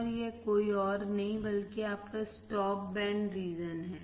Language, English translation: Hindi, And this one is nothing but your stop band region